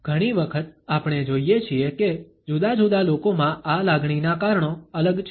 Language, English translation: Gujarati, Often we find that the reasons of this emotion are different in different people